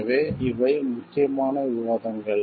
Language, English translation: Tamil, So, these are important discussions